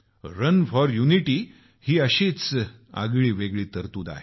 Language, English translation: Marathi, 'Run for Unity' is also one such unique provision